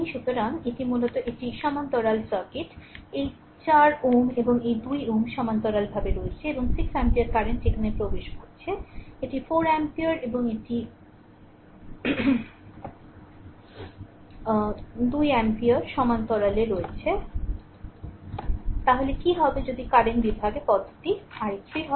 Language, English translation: Bengali, So, this is basically a parallel circuit, this 4 ohm and this 2 ohm there are in parallel right and 6 ampere current is entering here this 4 ohm and 2 ohm are in parallel, then what will be then if current division method what will be i 3